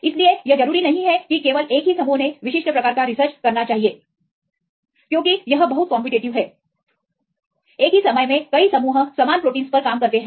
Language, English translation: Hindi, So, you not necessarily that only one group should do the particular type of research because very competitive, so many groups at the same time work on same proteins